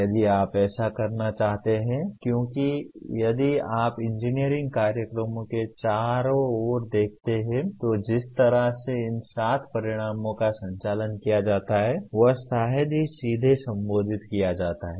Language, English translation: Hindi, If you want to do that because if you look around the engineering programs the way they are conducted these seven outcomes are hardly addressed directly